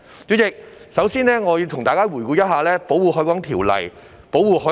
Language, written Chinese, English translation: Cantonese, 主席，首先，我要跟大家回顧一下《條例》。, President to begin with I would like revisit the Ordinance with my fellow Members